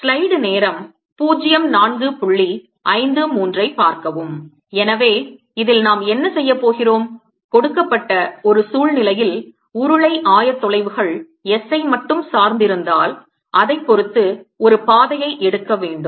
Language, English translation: Tamil, so what we'll be doing in this is: given a situation, take a path, depending on if it depends only on the cylindrical coordinate s i'll take a circular path or, depending on the situation, some other path